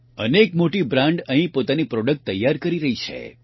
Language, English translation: Gujarati, Many big brands are manufacturing their products here